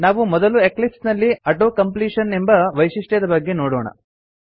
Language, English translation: Kannada, we will first look at Auto completion feature in Eclipse